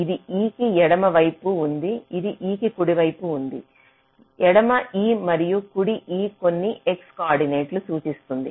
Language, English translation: Telugu, this is left of, say, e, this is right of e, left e and right e refers to some x coordinates and top and bottom refers to some y coordinates